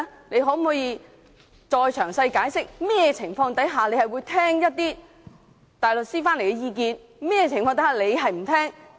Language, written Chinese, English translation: Cantonese, 你可否詳細解釋，你會在甚麼情況下聽從外聘大律師的意見，甚麼情況下不聽從？, Can you please explain to us in detail when you will and will not take on board the advice of outside counsel?